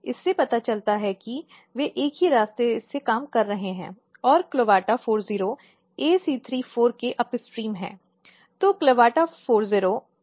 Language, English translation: Hindi, This suggests that they are working through the same pathway and CLAVATA40 is upstream of ACR4